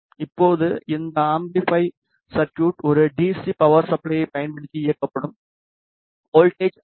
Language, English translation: Tamil, Now, this amplifier circuit will be powered using a DC power supply the voltage is 5